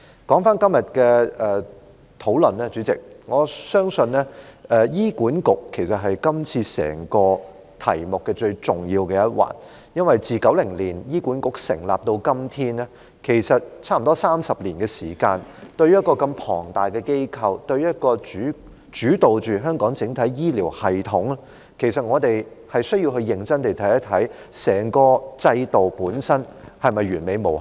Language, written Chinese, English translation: Cantonese, 主席，關於今天的討論，我相信醫院管理局是今次整個題目最重要的一環，因為醫管局自1990年成立至今，差不多已有30年的時間，對於這麼龐大的機構，一個主導香港整體醫療系統的機構，其實我們需要認真審視整個制度本身是否完美無瑕？, President concerning the discussion today I believe the Hospital Authority HA is the most important element in this entire subject because it has been almost 30 years since HA was established in 1990 . In regard to such a huge organization a leading organization to the entire healthcare system of Hong Kong we actually need to seriously examine whether the whole system itself is flawless or not